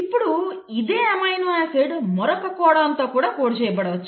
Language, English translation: Telugu, Now the same amino acid can also be coded by another codon, like GGC